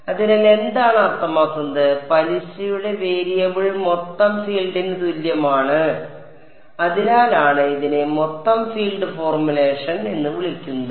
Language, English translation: Malayalam, So, what does it mean, it means that the variable of interest equals total field and that is why it is called the total field formulation